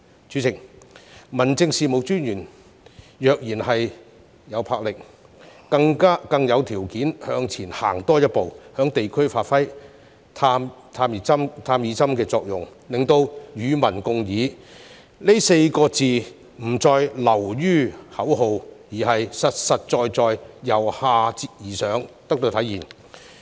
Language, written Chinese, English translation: Cantonese, 主席，民政事務專員若然有魄力，更有條件向前多走一步，在地區發揮"探熱針"的作用，令"與民共議"這4個字不再流於口號，而是實實在在由下而上得到體現。, President for District Officers who are courageous they will be in a better position to make one step forward by serving as a thermometer in the districts so that public participation will no longer be a mere slogan but can be realized from bottom up in a practical manner